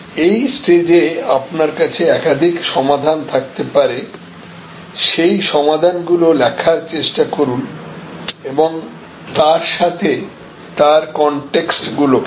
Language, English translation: Bengali, At this stage, you can have some number of solutions, but try to write the solutions and the corresponding contexts